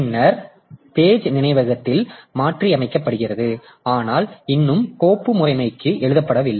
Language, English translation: Tamil, Then pages modified in memory but not yet written back to the file system